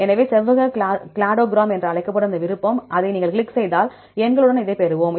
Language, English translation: Tamil, So, here is that option called rectangular cladogram, if you click on that then we will get this with numbers